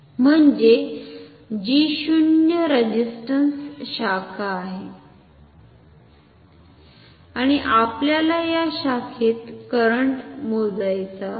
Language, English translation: Marathi, I mean which is a zero resistance branch and we want to measure the current in this branch ok